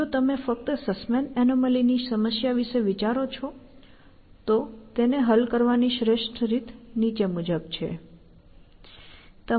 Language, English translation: Gujarati, That, if you just think about this problem, this Sussman’s anomaly; the best way to solve it follows